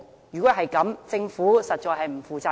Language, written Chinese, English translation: Cantonese, 如果是這樣，政府實在是不負責任。, If that is the case the Government is really irresponsible